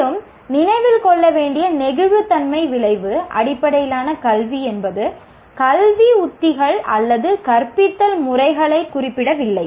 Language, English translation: Tamil, What should be remembered is outcome based education does not specify educational strategies or teaching methods